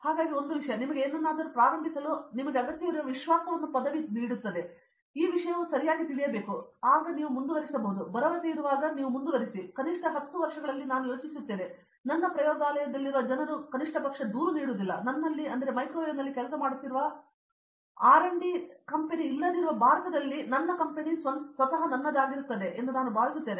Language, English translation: Kannada, So, that gives me a confidence you don’t need a degree to start a company or something, if you have if you know the subject properly, when you are confident enough that you can carry on then I think in 10 years at least I think I will have my own company in which at least people in my lab won’t ever complain you don’t have a company in R&D working in microwave